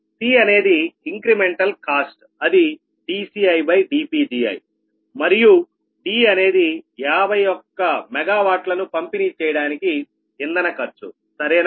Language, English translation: Telugu, c the incremental cost, that is, dc, d, dci, dpgi and d the cost of fuel to deliver fifty one mega watt